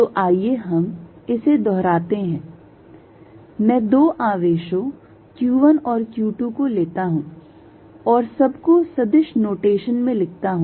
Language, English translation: Hindi, So, let us repeat this I am going to take two charges q 1 and q 2 and write everything in vector notation